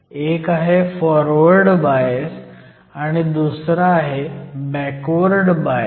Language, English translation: Marathi, First is called Forward bias and the next is called Reverse bias